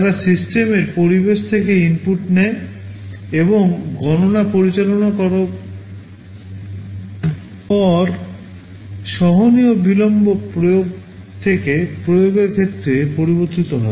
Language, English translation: Bengali, They take inputs from the system environment and should carry out the computations; the tolerable delay varies from application to application